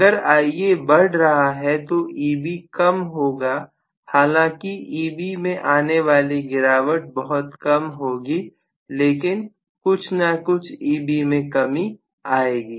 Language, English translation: Hindi, If Ia is increasing, I am going to have less value of E b although the difference is not much still I am going to have a little bit less value of E b